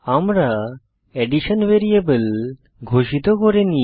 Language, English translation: Bengali, Notice, we havent declared the variable addition